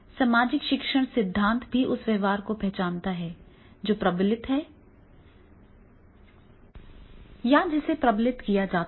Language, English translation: Hindi, Social learning theory also recognizes that behavior that is reinforced or rewarded tends to be repeated